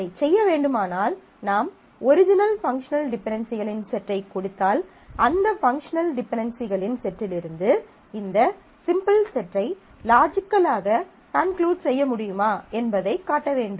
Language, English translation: Tamil, So, if I have to do that, then what we need to perform is, we need to show that given the set of functional dependencies, the original set whether this can imply this set that is from this set of functional dependencies, whether I can logically conclude the simplified set